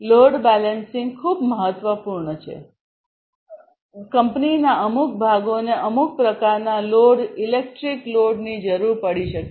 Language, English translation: Gujarati, Load balancing means like you know certain parts of the company might require or the factory might require certain types of load electric load